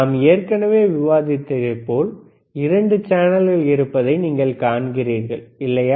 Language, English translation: Tamil, Now you see there are 2 channels like we have discussed, right